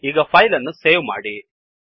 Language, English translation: Kannada, Now save this file